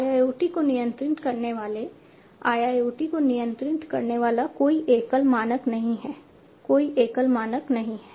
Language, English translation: Hindi, There are no there is no single standard that governs IIoT that governs IoT, there is no single standard